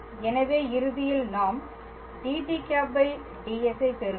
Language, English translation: Tamil, So, ultimately basically we will obtain dt ds